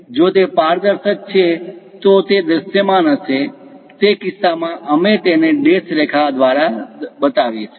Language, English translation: Gujarati, If it is transparent, it might be visible; in that case, we will show it by dashed lines